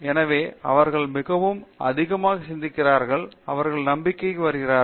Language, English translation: Tamil, So, they have really thought much more, they are getting confidence